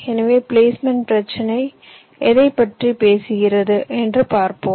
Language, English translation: Tamil, so this is what the placement problem talks about now